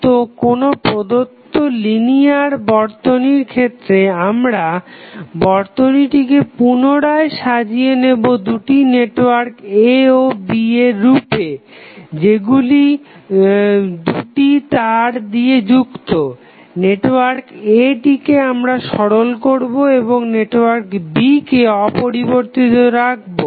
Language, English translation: Bengali, So, given any linear circuit, we rearrange it in the form of 2 networks A and B connected by 2 wires, network A is the network to be simplified and B will be left untouched